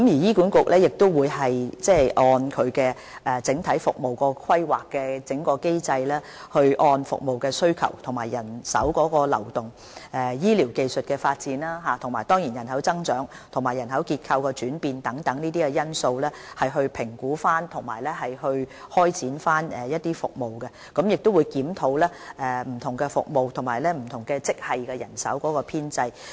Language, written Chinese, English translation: Cantonese, 醫管局會根據整體服務規劃機制，按服務需求、人手流動、醫療技術發展、人口增長和人口結構轉變等因素評估及開展服務，並會檢討不同服務及職系的人手編制。, HA will follow the overall service planning mechanism in assessing and launching services according to such factors as population growth and changes advancement of medical technology and health care manpower and will review the staff establishment for various services and grades